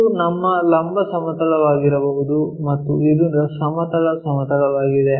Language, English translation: Kannada, This might be our vertical plane and this is the horizontal plane